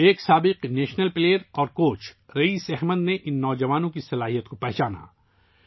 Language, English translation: Urdu, Raees Ahmed, a former national player and coach, recognized the talent of these youngsters